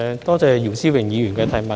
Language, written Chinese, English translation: Cantonese, 多謝姚思榮議員的補充質詢。, My thanks go to Mr YIU Si - wing for his supplementary question